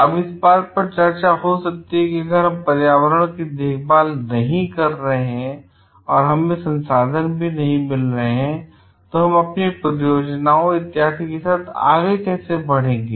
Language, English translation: Hindi, Now the there may be a debate like if we are not acting on the environment and we are not getting the resources, then how do we proceed with our projects and all this things